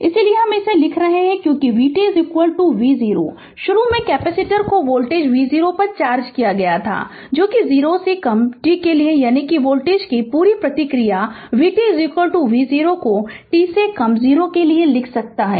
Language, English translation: Hindi, Therefore, you can write because v t is equal to v 0, initially capacitor was charged at voltage v 0 that is for t less than 0 that means complete response of voltage, you can write v t is equal to V 0 for t less than 0 right